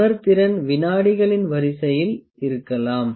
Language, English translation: Tamil, The sensitivity can be in the of the order of seconds